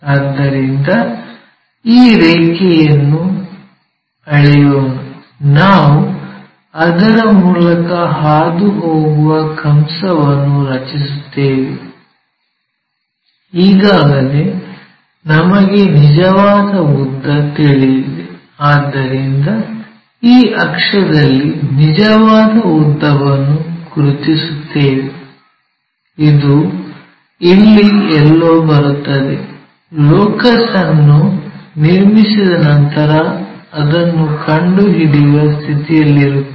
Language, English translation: Kannada, So, let us measure this line; so let us draw an arc which is passing through that already we know true length, so locate true length on this axis this is the one which comes somewhere there; after drawing our locus we will be in a position to find it